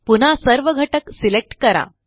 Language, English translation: Marathi, Again let us select all the elements